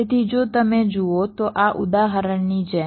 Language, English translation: Gujarati, so like in this example, if you look at